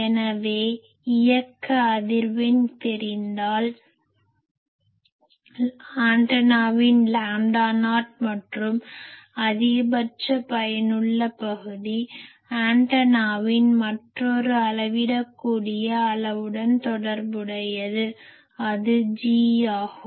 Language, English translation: Tamil, So, you see that if you know the operating frequency, you know lambda not and then actually this effective maximum effective area, of any antenna is related to another measurable quantity of the antenna that is G